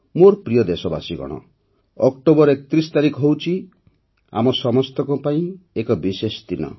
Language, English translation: Odia, My dear countrymen, 31st October is a very special day for all of us